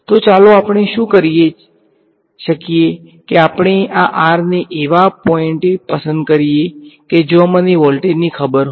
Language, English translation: Gujarati, So, let us what we can do is we can choose this r to be at a point where I know the voltage